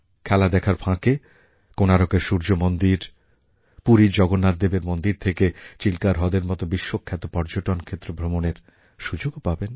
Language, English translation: Bengali, They can visit the world famous holy places like the Sun Temple of Konark, Lord Jagannath Temple in Puri and Chilka Lake along with enjoying the games there